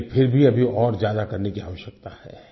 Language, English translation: Hindi, But we still need to do much more in this direction